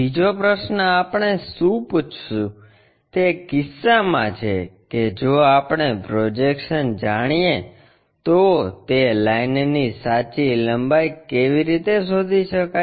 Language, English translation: Gujarati, The second question what we will ask is in case if we know the projections, how to construct find the true length of that line